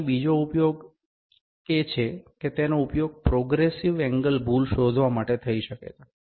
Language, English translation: Gujarati, Now, another use here can be it can be used to find the progressive error progressive angle error